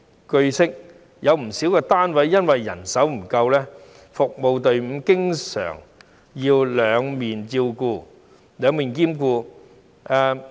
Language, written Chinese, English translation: Cantonese, 據悉，有不少單位由於人手不足，服務隊伍經常要兩面兼顧。, It is learnt that owing to manpower shortage in the service providing units the service teams always have to take care of both sides of the services